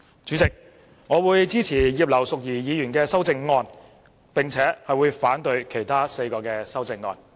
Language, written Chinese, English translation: Cantonese, 主席，我會支持葉劉淑儀議員的修正案，並且會反對其他4項修正案。, President I will support the amendment of Mrs Regina IP and oppose the other four amendments